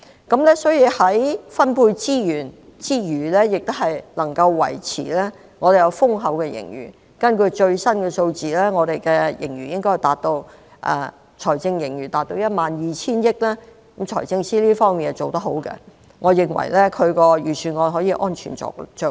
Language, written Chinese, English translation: Cantonese, 政府在分配資源之餘，亦能維持豐厚的盈餘，根據最新數字，本港的財政盈餘達 12,000 億元，財政司司長在這方面做得好，我認為他的預算案可以安全着陸。, While distributing various resources the Government still maintains an ample fiscal surplus . According to the latest information Hong Kongs fiscal surplus has reached 1,200 billion . The Financial Secretary has done very well in this respect and I think the Budget will have a soft landing